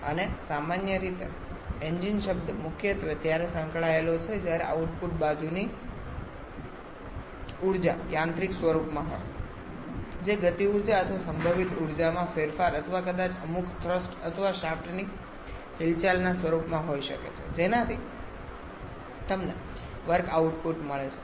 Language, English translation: Gujarati, And generally, the term engine is primarily associated when the output side energy is in mechanical form, which can be a change in kinetic energy or potential energy or maybe in the form of some thrust or shaft movement, thereby giving you work output